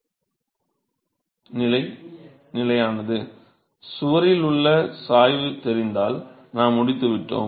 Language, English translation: Tamil, So, if we know the gradient at the wall we are done